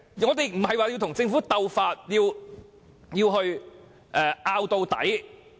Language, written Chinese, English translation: Cantonese, 我們並非要與政府鬥法，要爭拗到底。, We have no intention to vie with the Government neither do we want to engage in endless debates